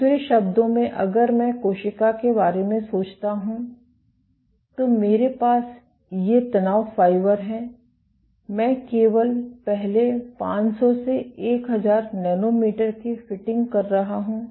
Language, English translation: Hindi, In other words, if I think of the cell, I have these stress fibres I am only fitting the first 500 to 1000 nanometers